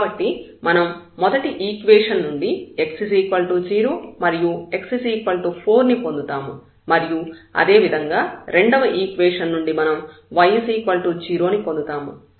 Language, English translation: Telugu, So, we will get x is equal to 0 and 4 from the first equation, from the second equation we will get y is equal to 0